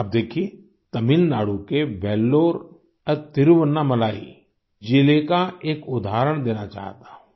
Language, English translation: Hindi, Take a look at Vellore and Thiruvannamalai districts of Tamilnadu, whose example I wish to cite